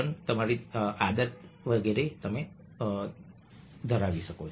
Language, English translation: Gujarati, so you can have that habit